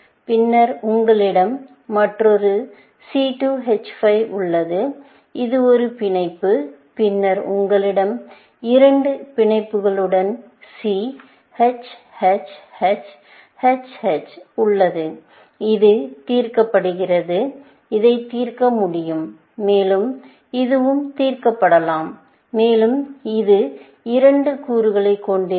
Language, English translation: Tamil, Then, you have another C2 H5; it is a bond and then, you have C, H, H, H, H, H, with two bonds, and this is solved; and this can be solved by, and this also, can be solved by this, and this will have, for example, two components